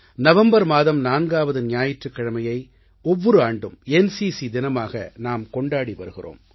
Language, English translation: Tamil, As you know, every year, the fourth Sunday of the month of November is celebrated as NCC Day